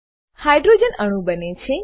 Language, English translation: Gujarati, Hydrogen molecule is formed